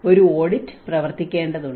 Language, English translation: Malayalam, An audit has to be worked